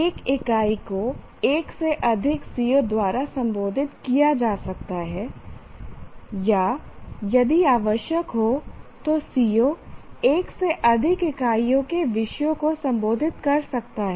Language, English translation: Hindi, A unit can be addressed by more than one CO or a CO if necessary can address topics from more than one unit